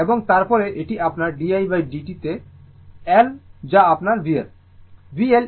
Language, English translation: Bengali, And then, it is L into your di by dt that is your v L